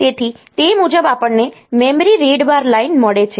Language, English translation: Gujarati, So, accordingly we get the memory read bar line